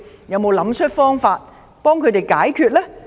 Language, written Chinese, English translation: Cantonese, 有沒有想辦法為他們解決問題？, Have you thought about ways to solve the problems for them?